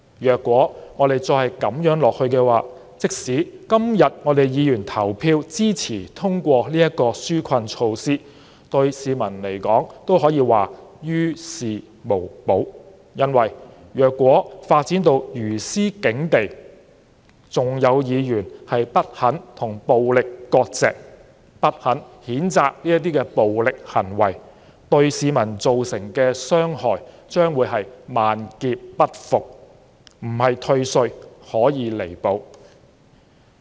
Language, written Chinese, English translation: Cantonese, 如果再這樣下去，即使今天議員投票支持通過這項紓困措施，對市民來說也於事無補，因為如果發展到如斯境地，還有議員不肯與暴力割席，不肯譴責暴力行為，對市民造成的傷害將會是萬劫不復，並非退稅可以彌補。, If this continues even if Members support the passage of this relief measure today it will be of no help to the people because if Members refuse to distance themselves from violence or condemn violent acts even now the irrevocable harm done to the people cannot be compensated with tax rebate